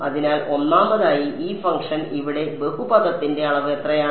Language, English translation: Malayalam, So, first of all this function over here what degree of polynomial is it